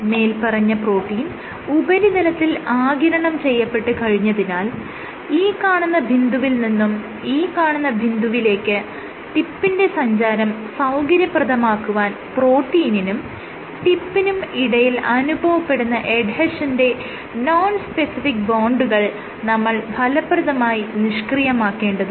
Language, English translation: Malayalam, Now, because the protein was adsorbed onto the surface, for the tip to go from this point to this point you have to break; forces break the nonspecific bonds of adhesion between the protein and the tip